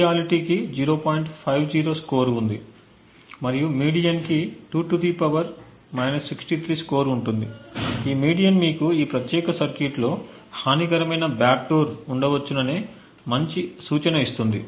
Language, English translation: Telugu, 50 and the median has a score of 2 ^ this median would give you a good indication that this particular circuit possibly has a malicious backdoor present in it